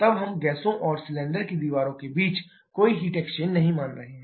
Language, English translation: Hindi, Then we are assuming no heat exchange between the gases and cylinder walls